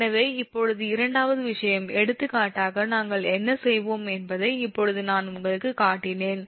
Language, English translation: Tamil, so now, second thing is, for example, just now i showed you first what we will do